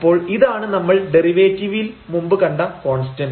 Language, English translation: Malayalam, So, this is the constant in the derivative we have seen f